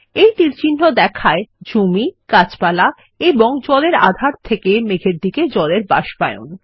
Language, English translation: Bengali, The third arrow shows evaporation of water from water to the clouds